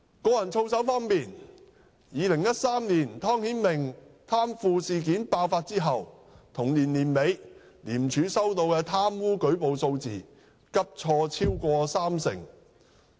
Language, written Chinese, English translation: Cantonese, 個人操守方面 ，2013 年湯顯明貪腐事件爆發後，同年年底，廉署收到的貪污舉報數字急挫超過三成。, In respect of personal conduct after the corruption incident involving Timothy TONG broke out in 2013 at the end of the same year the number of reports on corruption received by ICAC dropped drastically by over 30 %